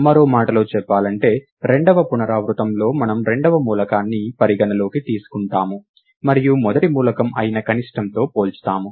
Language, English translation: Telugu, In other words in the second iteration, where we consider the second element and compare it with the minimum, which was the first element